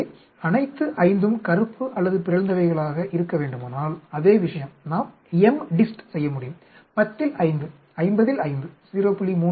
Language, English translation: Tamil, So, if all 5 needs to be black or mutant, same thing, we can do MDIST 5, out of 10, 5 out of 50, 0